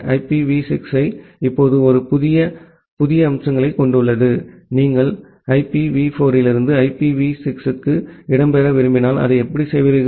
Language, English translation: Tamil, And IPv6 has a huge new set of features now if, you want to migrate from IPv4 to IPv6 how will you do that